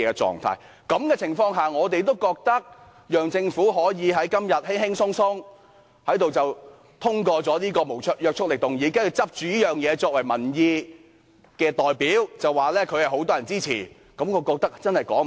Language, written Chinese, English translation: Cantonese, 在這種情況下，我們覺得讓政府在今天輕輕鬆鬆通過這個無約束力議案，然後以此作為民意的代表，說有很多人支持，真的說不過去。, Against this background we do not think it is justified to let the Government have this non - binding motion smoothly passed and then say that this debate represents public opinion and immense public support for the proposal